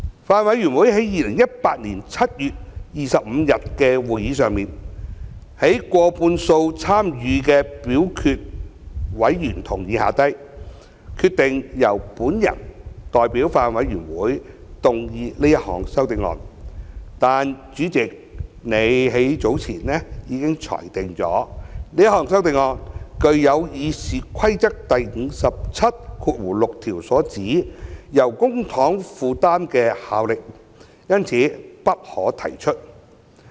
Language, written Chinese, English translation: Cantonese, 法案委員會在2018年7月25日的會議上，在過半數參與表決的委員同意下，決定由我代表法案委員會動議這項修正案，但主席已於較早前裁定，由於這項修正案具有《議事規則》第576條所指由公帑負擔的效力，因此不可提出。, At the meeting of the Bills Committee on 25 July 2018 it was decided by way of a majority vote that I would move an amendment to that effect on behalf of the Bills Committee . However the President ruled earlier that the amendment was inadmissible as it would have a charging effect within the meaning of Rule 576 of the Rules of Procedure